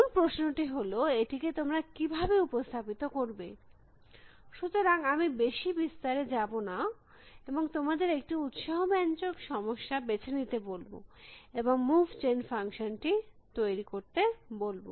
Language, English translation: Bengali, The whole question is how do you represent this, so I will not go too much into that detail and I will ask you to choose an interesting problem, describe the state representation and construct the move gen function